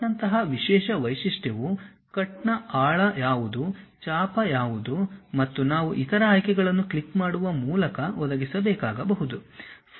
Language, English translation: Kannada, A specialized feature like cut requires additional components like what is the depth of cut, what should be the arc and other options we may have to provide by clicking the things